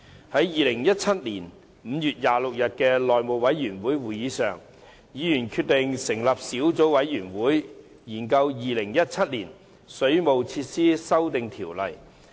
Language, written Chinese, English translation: Cantonese, 在2017年5月26日的內務委員會會議上，議員決定成立小組委員會，研究《2017年水務設施規例》。, At the House Committee meeting on 26 May 2017 Members decided to form a subcommittee to scrutinize the Waterworks Amendment Regulation 2017